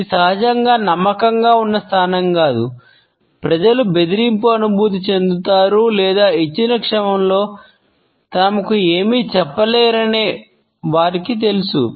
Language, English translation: Telugu, It is not a naturally confident position people may feel subconsciously threatened or they might be aware that they do not have any say in a given moment